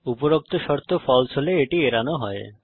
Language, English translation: Bengali, If the above condition is false then it is skipped